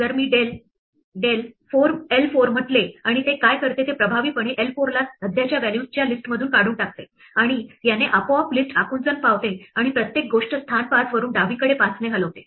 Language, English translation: Marathi, If I say del l 4 and what it does is effectively removes l 4 from the current set of values, and this automatically contracts the list and shifts everything from position 5 on wards to the left by 5